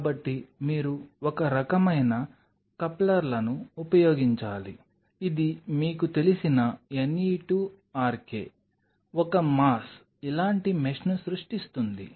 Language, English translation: Telugu, So, then you have to use some kind of couplers which will create kind of you know a ne2rk, a mass, a mesh like this